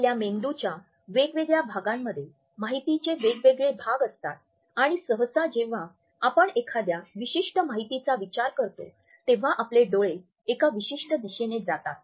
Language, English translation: Marathi, We hold different pieces of information in different parts of our brain and usually when we are thinking about a particular top of information, our eyes will go in one particular direction